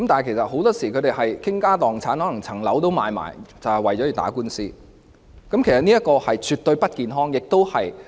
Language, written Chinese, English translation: Cantonese, 他們很多時候會傾家蕩產，可能連樓宇也要出售，就為了打官司，這情況絕對不健康。, Very often they have to spend their entire fortune or even sell their property to pay for the lawsuit . This situation is certainly not healthy